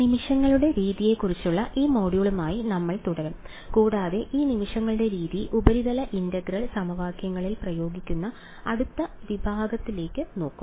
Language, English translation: Malayalam, So, we will continue with this module on the method of moments and look at the next section which is applying this method of moments to Surface Integral Equations ok